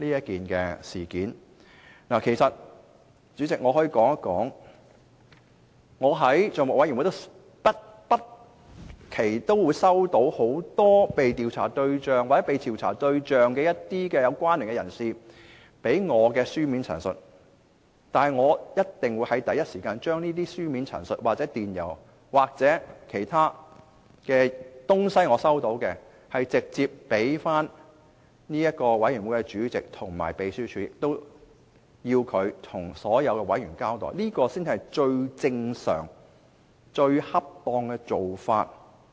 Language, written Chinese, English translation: Cantonese, 以我個人經驗為例，我在政府帳目委員會不時會接獲被調查對象或被調查對象的相關人士，發給我的書面陳述，但我一定會第一時間把這書面陳述、電郵或我接獲的其他物品，直接提交相關委員會主席和秘書處，請他們向所有委員交代，這才是最正常、最恰當的做法。, When I was a member of the Public Accounts Committee PAC I would from time to time receive written statements from subjects of investigation or their related persons . I would immediately pass these written statements emails or other articles that I had received on to the PAC Chairman and the Legislative Council Secretariat . I would then ask them to bring this to the attention of all members